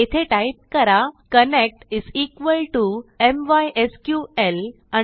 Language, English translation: Marathi, We type here connect = mysql connect